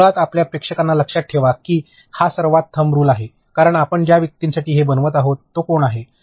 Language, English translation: Marathi, So, basically keep your audience in mind that is the most thumb rule which I will say because, who is the person for whom you are making this